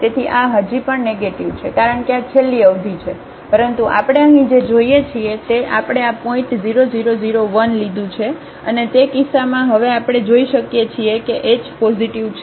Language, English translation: Gujarati, So, this is a still negative because these are the last term, but what we see here now we have taken this point 0001 and in that case now we can see that the, since h is positive